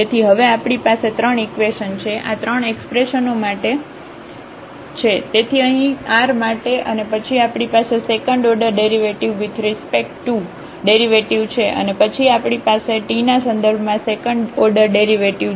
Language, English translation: Gujarati, So, we have 3 equations now, this is for 3 expressions, so here for the r and then we have the s the second order derivative the mixed derivative and then we have the second order derivative with respect to t